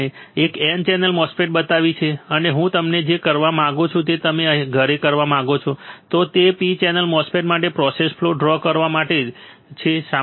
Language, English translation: Gujarati, I have shown you an N channel MOSFET and what I want you to do what I want you to try at home is to draw the process flow for P channel MOSFET